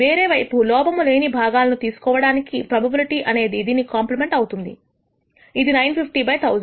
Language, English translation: Telugu, On the other hand, the probability of picking a non defective part is the complement of this, which is 950 divided by 1,000